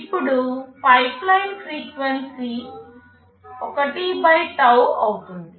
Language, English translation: Telugu, Now, the pipeline frequency will be 1 / tau